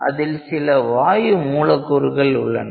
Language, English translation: Tamil, container there are some gas molecules